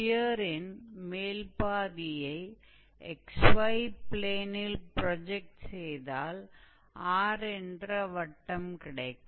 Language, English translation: Tamil, So, when we take the projection of the upper half on xy plane, it will be a circle with similar radius